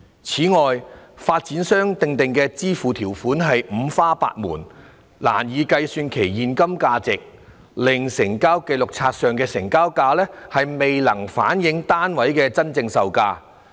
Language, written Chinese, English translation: Cantonese, 此外，發展商訂定的支付條款五花八門，難以計算其現金等值，令成交紀錄冊上的"成交價"未能反映單位的真正售價。, Besides as the payment terms drawn up by developers are multifarious it is difficult to calculate their cash equivalents rendering the transaction prices shown on the registers of transactions RT unable to reflect the actual prices at which the units were sold